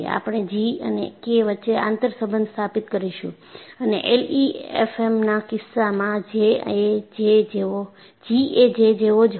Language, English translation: Gujarati, In fact, we would establish an interrelationship between G and K and in the case of LEFM, G is same as J